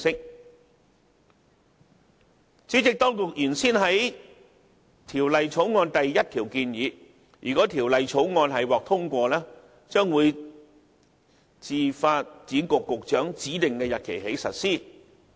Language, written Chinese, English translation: Cantonese, 代理主席，當局原先於《條例草案》第1條建議，倘若《條例草案》獲得通過，新法例將自發展局局長指定的日期起實施。, Deputy President originally the Administration proposed in clause 1 of the Bill that the new ordinance should come into operation on a day to be appointed by the Secretary for Development by notice published in the Gazette if the Bill was passed